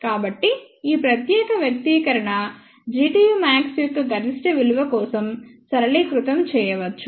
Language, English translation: Telugu, So, this particular expression can be simplified for the maximum value of G tu max